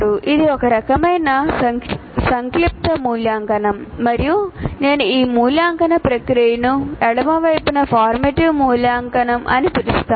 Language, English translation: Telugu, This is a kind of summative evaluation I can call this and this process I can call it as formative evaluation